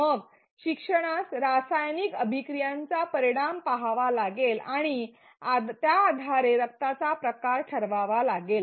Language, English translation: Marathi, Then the learner has to see the result of the chemical reaction and based on it decide the blood type